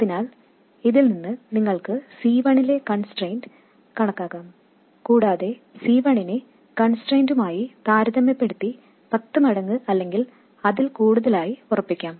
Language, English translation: Malayalam, So, from this you can calculate the constraint on C1 and set C1 to be, let's say, 10 times or even more compared to the constraint